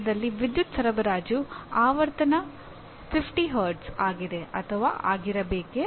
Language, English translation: Kannada, Some specific details like power supply frequency in India is 50 Hz or it is supposed to be 50 Hz